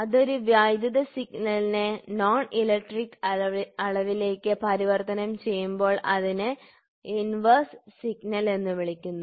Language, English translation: Malayalam, So, that is a direct if the electrical quantity is transformed into a non electrical quantity it is called as inverse transform